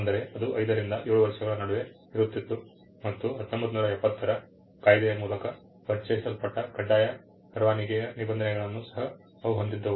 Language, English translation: Kannada, It would vary between five to seven years and they were also host of provisions on compulsory licensing which was introduced by the 1970 act